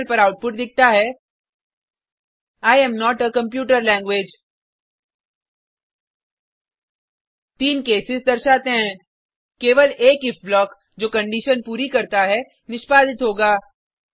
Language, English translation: Hindi, The output shown on terminal is I am not a computer language The 3 cases imply that Only one if block that satisfies the condition will be executed